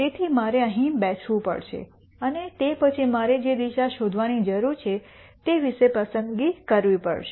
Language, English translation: Gujarati, So, I have to sit here and then make a choice about the direction that I need to gure out